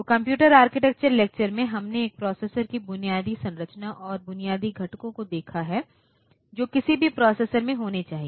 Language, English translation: Hindi, So, in the computer architecture lectures we have seen the basic structure of a processor and we have seen the basic components that should be there in any processor